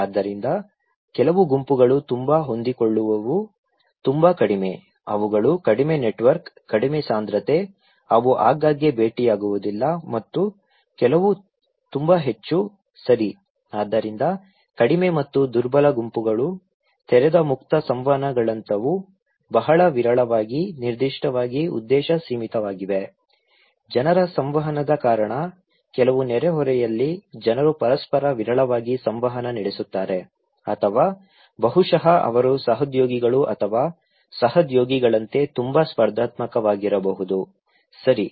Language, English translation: Kannada, So, some groups are very flexible, very low, they have very less network, less density, they often they seldom met and some are very high, okay, so low and weak group like open ended interactions, very infrequent, limited with specific purpose, the reason of people interacting, in some neighbourhood people interact very rarely with each other, right or maybe they are very competitive like the colleagues or co workers, okay